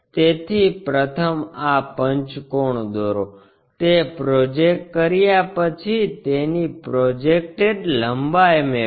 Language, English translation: Gujarati, So, first construct this pentagon, after that project it get the projected length